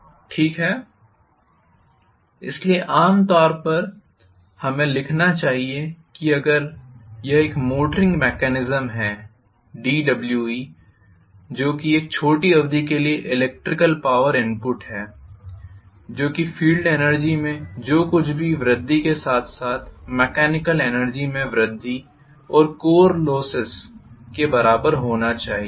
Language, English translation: Hindi, Okay, so normally we should write if it is a motoring mechanism d W e which is the electrical power input for a short duration, that should be equal to whatever is the increase in the field energy plus whatever is going to be increase in the mechanical energy plus of course losses